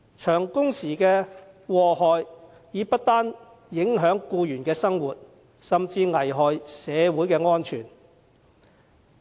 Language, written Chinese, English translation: Cantonese, 長工時造成的禍害不單影響僱員的生活，而且更危害社會安全。, Not only do long working hours affect the life of employees they also put public safety at risk